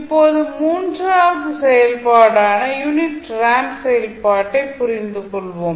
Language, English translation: Tamil, Now, let us understand the third function which is unit ramp function